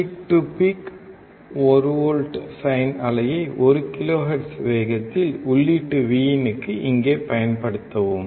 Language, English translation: Tamil, Then apply 1 volt peak to peak sine wave at 1 kHz to the input Vin here, right